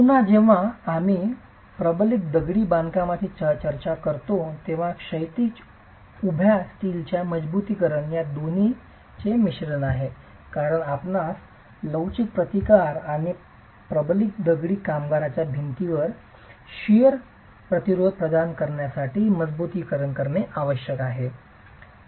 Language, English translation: Marathi, Again, when we talk of reinforced masonry, it is a combination of both horizontal and vertical steel reinforcement because you need reinforcement to provide flexual resistance and provide shear resistance to the reinforced masonry wall